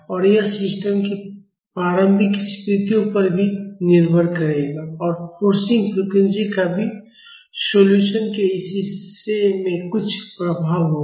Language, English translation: Hindi, And this will also depend upon the initial conditions of the system and the forcing frequency will also have some influence in this part of the solution